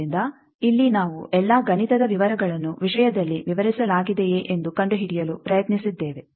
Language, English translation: Kannada, So, here we have tried to find out to see all the mathematical details are explained in the thing